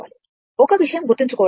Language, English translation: Telugu, One thing is important to remember